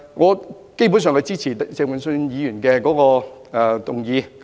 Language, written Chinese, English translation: Cantonese, 我基本上是支持鄭泳舜議員的議案。, I basically support the motion moved by Mr Vincent CHENG